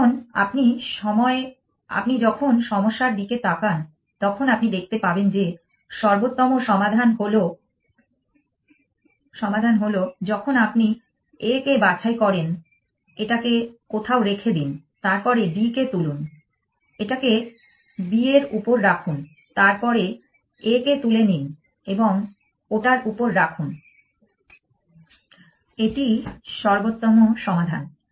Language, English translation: Bengali, Now, when you look at the problem you can see that the optimal solution is when you pick up a put it down somewhere, then pick up D, put it on B then pick up a and put it on that is optimal solution